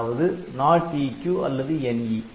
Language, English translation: Tamil, So, it is not of EQ so, that is NE